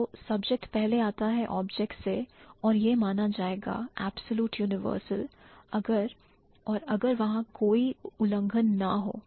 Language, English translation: Hindi, So, the subject precedes the object would be considered as an absolute universal if and only if there is no violation